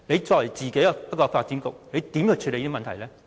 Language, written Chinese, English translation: Cantonese, 作為發展局局長，他怎樣處理這個問題呢？, As the Secretary for Development how will he deal with this problem?